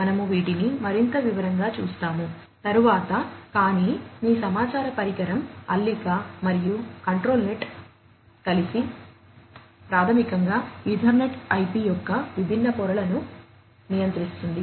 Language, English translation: Telugu, So, we will you know look at these in more detail, later on, but just for your information device knit and control net together, basically controls the different layers of Ethernet IP